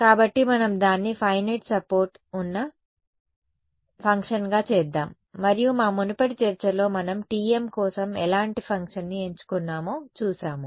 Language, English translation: Telugu, So, let us make it into a function with finite support right and we have seen what kind of function did we choose for the T m in our earlier discussion